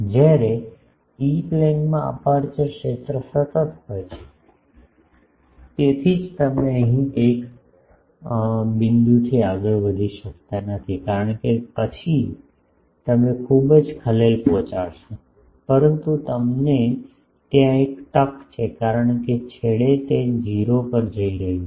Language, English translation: Gujarati, Whereas, in the E Plane the aperture field is constant so, that is why here you cannot go beyond a point, because then you will disturb much, but there you have a chance because at the ends it is going to 0